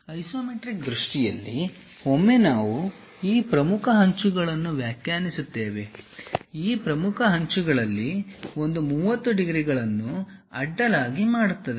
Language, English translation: Kannada, In the isometric view, once we define these principal edges; one of these principal edges makes 30 degrees with the horizontal